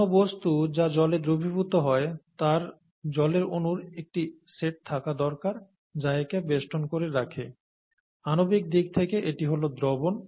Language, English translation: Bengali, So any substance that dissolves in water needs to have a set of water molecules that surround it, that’s essentially what dissolution is at a molecule scale